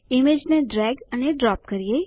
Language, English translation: Gujarati, Let us drag and drop an image